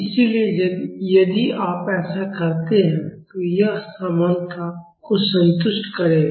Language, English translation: Hindi, So, if you do that, it will satisfy the equality